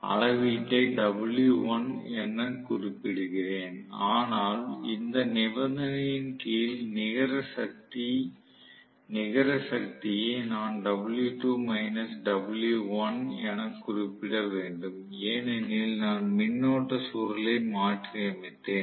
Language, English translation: Tamil, Let me just note down the reading as w1 but the net power under this condition I have to note down as w2 minus w1 because I have reversed the current coil